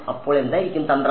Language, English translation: Malayalam, So, what might be the trick